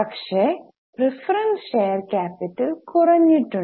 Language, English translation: Malayalam, But preference share capital has come down